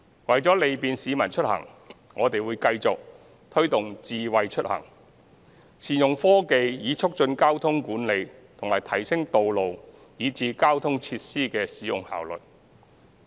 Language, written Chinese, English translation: Cantonese, 為利便市民出行，我們會繼續推動"智慧出行"，善用科技以促進交通管理和提升道路以至交通設施的使用效率。, For the convenience of the commuting public we will continue to promote Smart Mobility initiatives . By leveraging technology these initiatives will facilitate traffic management and enhance the efficiency of the utilization of roads and transport facilities